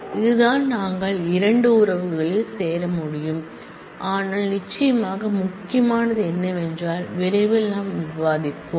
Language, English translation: Tamil, This is this is how we can join 2 relations, but certainly what is a important is something which we will discuss shortly